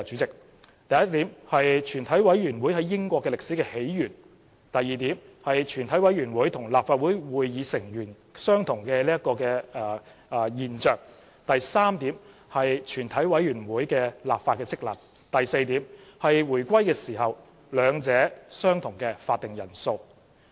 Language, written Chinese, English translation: Cantonese, 第一是全委會在英國的歷史起源；第二是全委會和立法會會議成員相同；第三是全委會的立法職能；第四是回歸時兩者相同的會議法定人數。, First the historical origin of a committee of the whole Council in the United Kingdom; second the identical membership of a committee of the whole Council and the meeting of the Legislative Council; third the legislative functions of a committee of the whole Council; fourth the quorum of the two entities were the same at the time of reunification